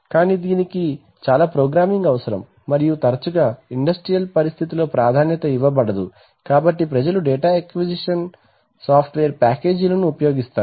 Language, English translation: Telugu, But this requires lot of programming and often in an industrial situation is not preferred, so you people use data acquisition software packages